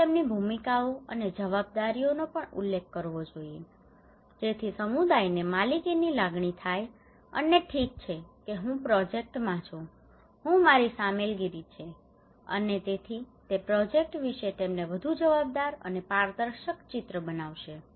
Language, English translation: Gujarati, So their roles and responsibilities should be also mentioned so that community feel kind of ownership and okay I am in the project these are my involvement and so it will create a more accountable and transparent picture to them about the project